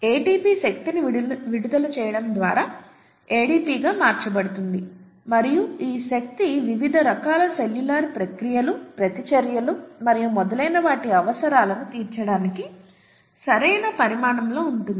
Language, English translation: Telugu, ATP gets converted to ADP, by the release of energy and this energy is rightly sized, right, to carry out, to fulfil the needs of various different cellular processes, reactions maybe and so on so forth